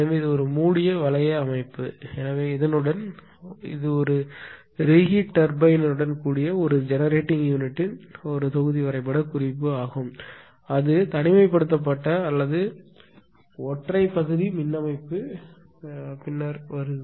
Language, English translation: Tamil, So, this is a closed loop system; so, with this this is a block diagram representation of a generating unit with a reheat turbine it is isolated or single area power system what is area will come later